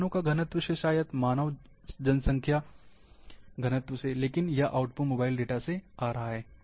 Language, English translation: Hindi, Maybe population density of the vehicles, maybe population density of the human, but the input is coming from mobile data